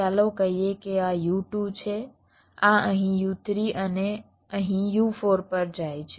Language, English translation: Gujarati, let say this: one is u two, this goes to u three here and u four here